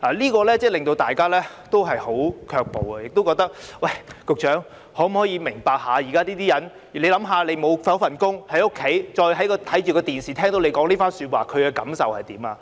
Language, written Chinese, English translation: Cantonese, 這樣真的令大家很卻步，亦覺得局長是否明白現時市民......試想一下，他們失去工作，在家中看電視時聽到你這番說話，他們會有何感受？, This really makes people step back and we also wonder whether the Secretary understands that members of the public are now Just imagine that they have lost their jobs how would they feel after hearing what you said when they are watching television at home?